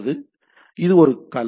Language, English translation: Tamil, So, this is a domain